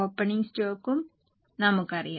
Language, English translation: Malayalam, We also know the opening stock